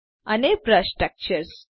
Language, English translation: Gujarati, And Brush Textures